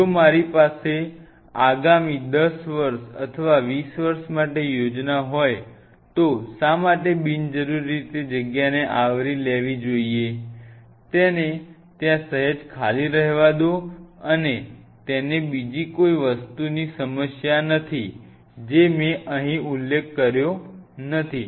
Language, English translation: Gujarati, If I have a plan for next 10 years down the line or I have a plan for next 20 years down the line, why I should unnecessarily cover of a space let it be there let it remain slightly empty no problem another thing what I did not mention here